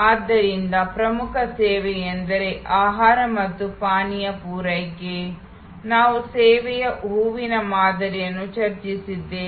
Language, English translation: Kannada, So, the core service is supply of food and beverage, we had discussed that model of flower of service